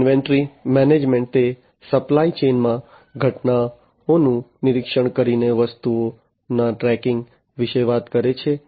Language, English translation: Gujarati, Inventory management, it talks about tracking of items by monitoring events in the supply chain